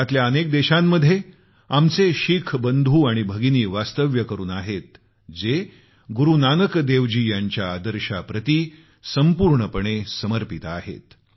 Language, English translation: Marathi, Many of our Sikh brothers and sisters settled in other countries committedly follow Guru Nanak dev ji's ideals